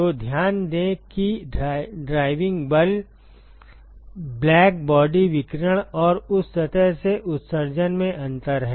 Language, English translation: Hindi, So, note that the driving force is the difference in the black body radiation and the emission from that surface